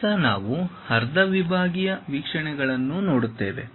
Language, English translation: Kannada, Now, we will look at half sectional views